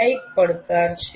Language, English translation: Gujarati, That is a challenge